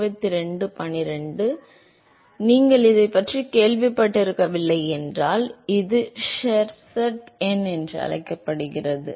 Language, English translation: Tamil, So, this is called the Sherwood number, if you have not heard of this